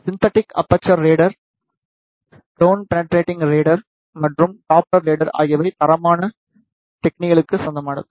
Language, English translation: Tamil, Synthetic aperture radar, ground penetrating radar, and the Doppler radar belongs to the qualitative technique